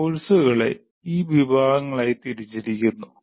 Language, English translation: Malayalam, First courses are classified into these categories